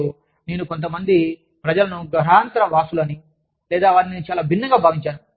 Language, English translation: Telugu, And, the people, who i thought were aliens, or the people, who i thought were very different